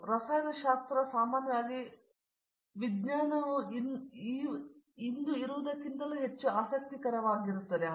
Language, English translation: Kannada, So, therefore, the chemistry generally, science can be more interesting than what it is today